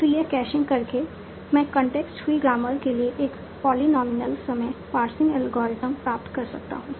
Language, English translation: Hindi, So, by doing this caching, I can obtain a polynomial time parsing for context free grammars